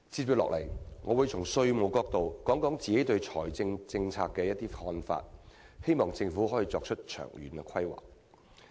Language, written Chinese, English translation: Cantonese, 接下來，我會從稅務角度提出我個人對財政政策的一些看法，希望政府能夠作出長遠的規劃。, In the following time I will express my personal views on the fiscal policy from the taxation perspective . It is my hope that long - term planning can be made by the Government